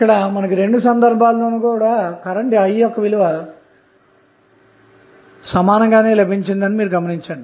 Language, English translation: Telugu, So, we can see now, in both of the cases the current I is same